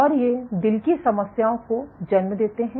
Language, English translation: Hindi, And these lead to heart problems